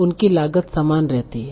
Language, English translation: Hindi, But all these costs were equal